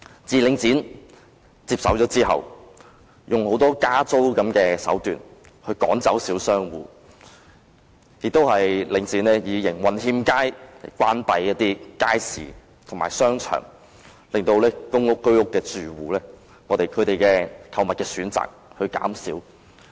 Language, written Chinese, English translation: Cantonese, 自領展接手後，便往往以加租的手段趕走小商戶，更以營運欠佳為理由，關閉一些街市和商場，令公屋和居屋住戶的購物選擇減少。, Since the takeover by Link REIT it often drives away small shop operators by increasing the rents . It has even closed markets and shopping arcades for the reason of poor operation thus reducing the shopping choices of residents in public housing estates and Home Ownership Scheme HOS courts